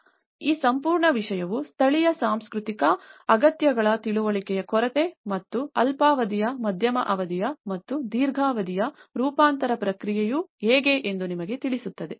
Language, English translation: Kannada, So, this whole thing has actually reveals us that the lack of understanding of the local cultural needs and how the short term, medium term and the long run adaptation process